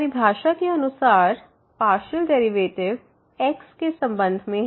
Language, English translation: Hindi, So, this will be the partial derivative with respect to